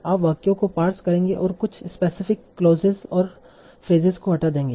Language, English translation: Hindi, So what you will do, you will pass the sentences and remove certain specific clauses and phrases